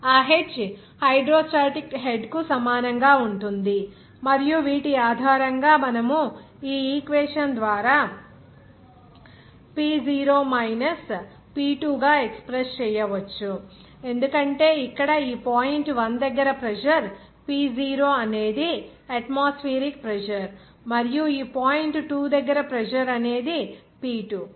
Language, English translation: Telugu, That h will be equal to hydrostatic head, and based on these, you can express by this equation as P0 minus P2 because here at this point one pressure is P0 atmospheric pressure and at this point two pressure is here P2